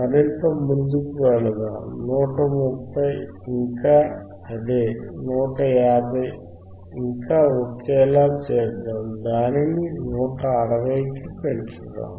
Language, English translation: Telugu, Llet us go further, let us make 130; 130 still same, let us make 150 still same, let us increase it to 160